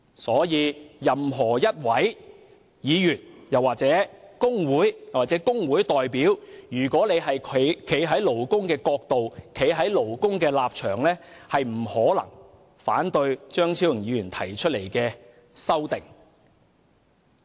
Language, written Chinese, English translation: Cantonese, 故此，任何議員、工會或工會代表，如果站在勞工的角度和立場，不可能會反對張議員提出的修正案。, Therefore it is impossible for any Member trade union or trade union representative on the side of employees to oppose Dr CHEUNGs amendments